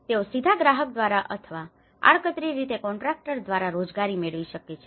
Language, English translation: Gujarati, They may be employed directly by a client or indirectly through a contractor